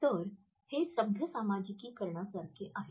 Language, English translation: Marathi, So, these are like polite socialize